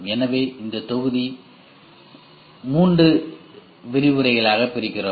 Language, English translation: Tamil, So, this module we divide it into these three lectures